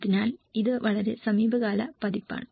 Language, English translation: Malayalam, So, this is a very recent edition